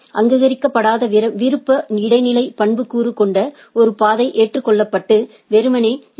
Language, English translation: Tamil, By a path with a unrecognized optional transitive attribute is accepted and simply forwarded to the BGP peers